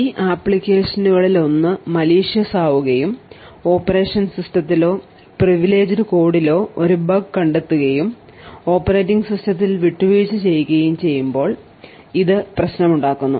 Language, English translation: Malayalam, Now problem occurs when one of these applications becomes malicious and finds a bug in the operation system or the privileged code and has compromised the operating system